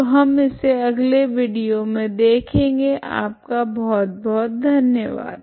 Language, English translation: Hindi, So we will see this in the next video, thank you very much